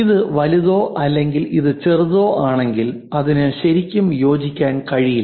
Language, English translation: Malayalam, If it is too large if this one is large and if this one is small it cannot really fit into that